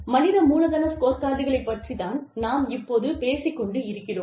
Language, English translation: Tamil, We talk about, human capital scorecards